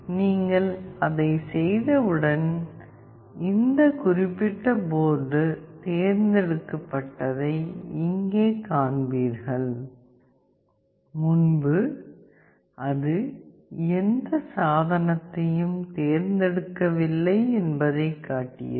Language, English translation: Tamil, And once you do that you will see here that this particular board got selected, earlier it was showing no device selected